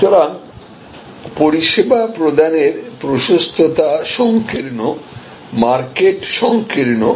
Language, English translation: Bengali, So, it is the breadth of service offering is narrow, market is narrow